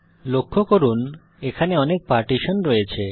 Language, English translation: Bengali, Notice that there are a lot of partitions